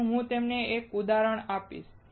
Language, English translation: Gujarati, So, I will give you an example